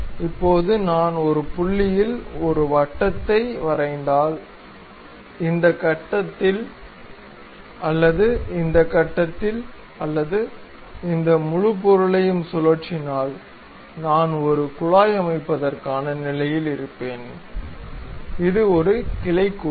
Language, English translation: Tamil, Now, if I am drawing a circle at one of the points, either at this point or at this point and revolve this entire object; I will be in a position to construct a pipeline, which is a branch joint